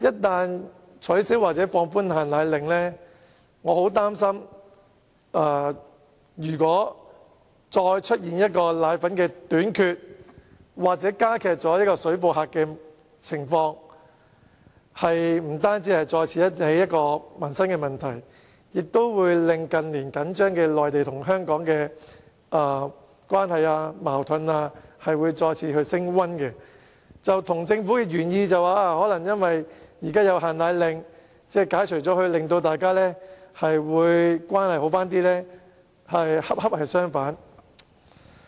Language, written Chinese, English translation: Cantonese, 假如取消或放寬"限奶令"，我很擔心會再出現奶粉短缺或水貨客的情況，不單會再次引起民生問題，亦會令內地與香港的緊張關係和矛盾再次升溫，以致與政府的原意，即解除"限奶令"可改善兩地關係恰恰相反。, Should the powdered formulae restriction order be lifted or relaxed I feel gravely concerned that a shortage of powdered formulae or parallel - goods traders will appear again . Not only will doing so give rise to livelihood problems but the tension and conflicts between the Mainland and Hong Kong will intensify again . This precisely runs counter to the Governments original intention of improving the relationship between the two places